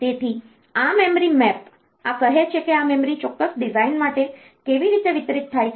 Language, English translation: Gujarati, So, this memory map, this tells like how this memory is distributed for a particular design